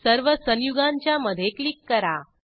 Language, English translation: Marathi, Click between all the compounds